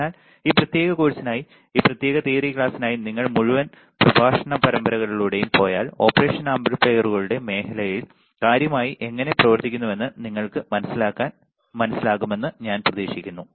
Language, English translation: Malayalam, So, I hope that if you go through the entire series of lectures for this particular course, for this particular theory class then you will know how the how the things works particularly in the area of operational amplifiers